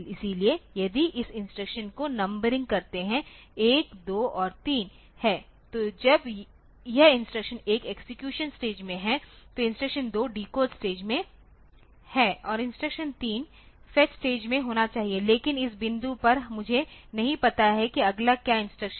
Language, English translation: Hindi, So, if number this instruction 1, 2 and 3 then when this instruction 1 is in execute stage, the instruction 2 is in the decode stage and instruction 3 should be in the fetch stage, but at this point at this point I do not know what is the next instruction